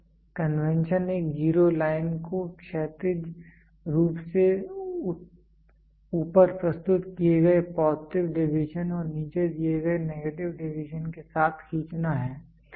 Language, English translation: Hindi, The convention is to draw a zero line horizontally with positive deviations represented above and the negative deviations represented below